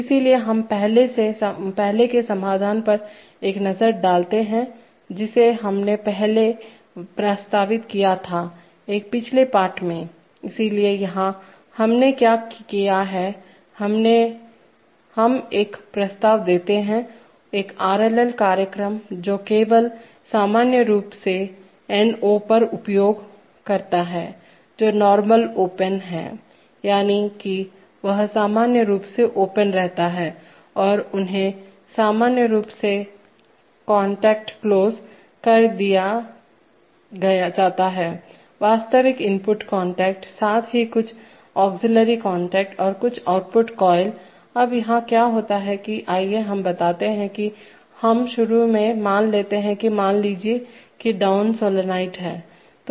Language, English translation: Hindi, So we take a look at the earlier solution which we proposed before, in an earlier lesson, so here, what we did is, here we propose a, an RLL program which use only the normally on and the NO, that is normally open and they normally closed contacts, the real input contacts, as well as some auxiliary contacts and some output coils, now what happens here is that, let us say, let us look at this, that, initially suppose the, suppose the down solenoid is on